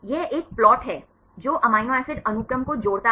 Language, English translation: Hindi, It is a plot connecting, the amino acid sequence